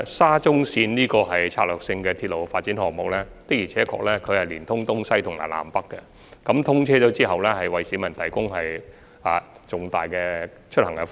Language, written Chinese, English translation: Cantonese, 沙中綫作為策略性鐵路發展項目，確實是聯通東西和南北，通車後會大大方便市民出行。, Being a strategic railway development project SCL indeed serves a link between east and west as well as north and south which will bring great convenience to members of the public when getting around upon its commissioning